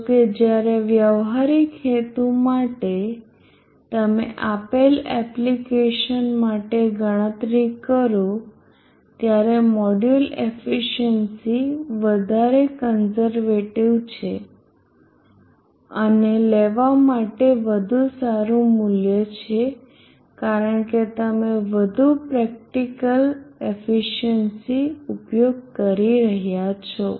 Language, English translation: Gujarati, Over a practical purposes whenever you are calculating for a given application the module efficiency is a much more conservative and better value to take because you will be using the more practical efficiency